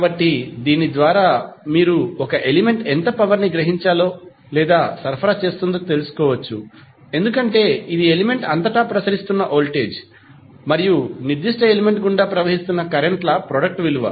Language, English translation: Telugu, So, by this you can find out how much power is being absorbed or supplied by an element because it is a product of voltage across the element and current passing through that particular element